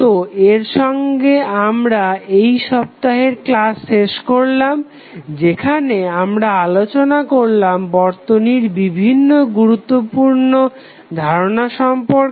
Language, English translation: Bengali, So, with this we close this week sessions where we studied various key concept of the circuit